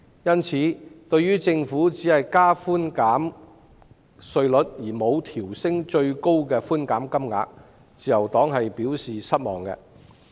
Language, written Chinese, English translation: Cantonese, 因此，對於政府只提高稅務寬減比率而沒有調升最高寬減金額，自由黨表示失望。, The Liberal Party hence expresses disappointment about the Governments increase of tax concession rates without raising the ceilings